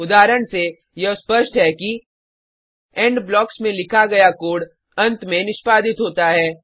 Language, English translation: Hindi, From the example, it is evident that The code written inside the END blocks get executed at the end